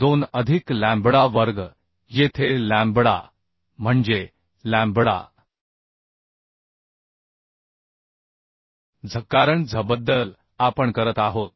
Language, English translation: Marathi, 2 plus lambda square here lambda means lambda z because about z z we are doing So 0